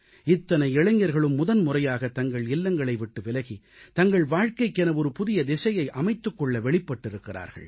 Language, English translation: Tamil, This multitude of young people leave their homes for the first time to chart a new direction for their lives